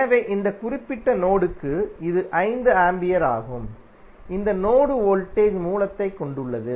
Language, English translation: Tamil, So, this is 5 ampere for this particular mesh, this mesh contains voltage source